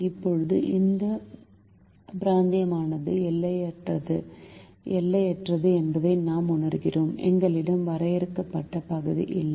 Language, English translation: Tamil, now we realize that this region is unbounded in the sense that there is, there is no finite region that we have